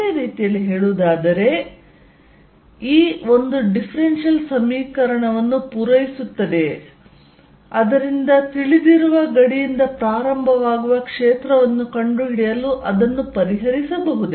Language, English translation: Kannada, So, if I know the differentials I can do that, in other words what I am saying is:Does E satisfy a differential equation that can be solved to find the field starting from a boundary where it is known